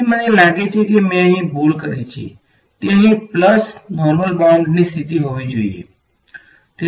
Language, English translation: Gujarati, So, I think I made a mistake over here it should be plus right normal boundary conditions over here